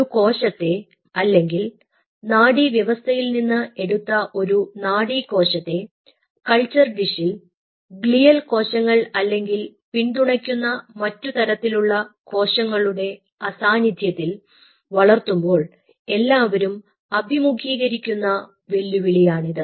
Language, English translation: Malayalam, when we remove a cell or we remove a neuron from the nervous system, we are dividing it in a culture dish without the glial cells and other supporting cell types